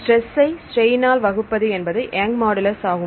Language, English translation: Tamil, So, stress by strain is Young’s modulus